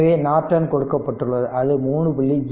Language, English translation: Tamil, So, Norton is given I told you 3